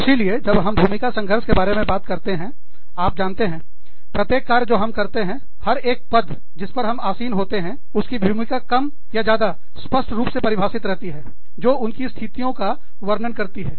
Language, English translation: Hindi, So, when we talk about, role conflict, we, you know, every job, that we do, every position, that we are in, has a more or less, clearly defined role, that describes this position